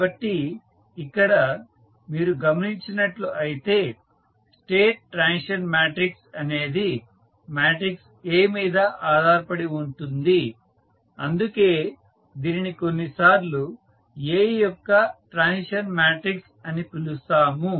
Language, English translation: Telugu, So, if you see this the state transition matrix is depending upon the matrix A that is why sometimes it is referred to as the state transition matrix of A